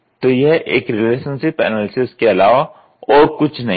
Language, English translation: Hindi, So, this is nothing, but a relationship analysis